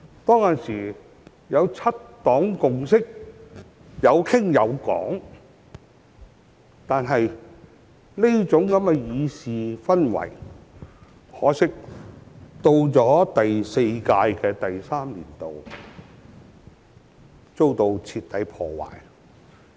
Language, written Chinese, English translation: Cantonese, 當時有七黨共識，大家有傾有講，但可惜，這種議事氛圍到了第四屆立法會的第三個年度卻遭到徹底破壞。, Back then the seven parties were able to reach consensus on certain issues and maintain cordial communication . Regrettably such parliamentary atmosphere was completely destroyed in the third year of the Fourth Legislative Council